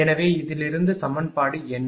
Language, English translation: Tamil, So, from this is equation 80